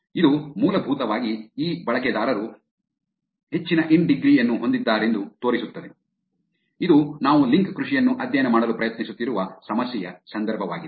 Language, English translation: Kannada, It essentially shows that these users have high in degree which is the context of the problem that we trying to study which is link farming